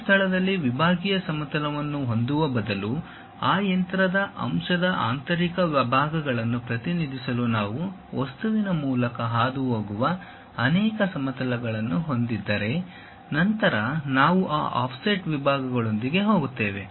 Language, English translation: Kannada, Instead of having a sectional plane at one location, if we have multiple planes passing through the object to represent interior parts of that machine element; then we go with this offset section